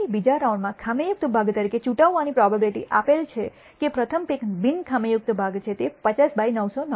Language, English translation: Gujarati, So, the probability of picking as defective part in the second round given that the first pick was non defective is 50 by 999